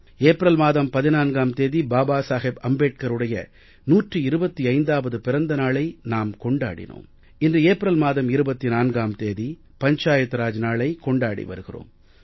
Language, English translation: Tamil, We celebrated 14th April as the 125th birth anniversary of Babasaheb Ambedekar and today we celebrate 24th April as Panchayati Raj Day